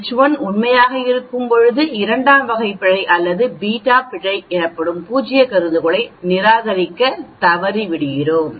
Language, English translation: Tamil, When H 1 is true, we fail to reject the null hypothesis that is called the type 2 error or beta error